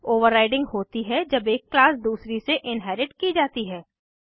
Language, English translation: Hindi, Overriding occurs when one class is inherited from another